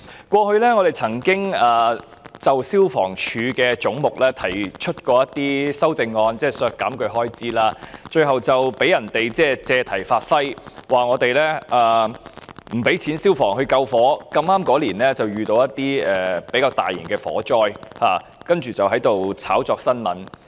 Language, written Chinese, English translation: Cantonese, 過去我們曾經就消防處的總目提出修正案，即是削減消防處的開支，最後被人借題發揮，指我們不撥款予消防處救火，剛好那一年發生較大型的火災，然後他們便藉此炒作新聞。, In the past we have proposed amendments to the head of the Fire Services Department FSD which sought to reduce the expenditure of FSD . In the end some people made a fuss of it accusing us of not allocating financial provisions to FSD for fire - fighting . It so happened that some serious fire incidents broke out in that year they then hyped up this issue